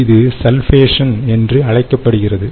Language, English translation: Tamil, this is called sulfation